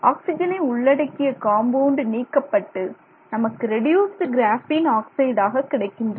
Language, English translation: Tamil, So, you remove some amount of those oxygen containing compounds and then you get this reduced graphene oxide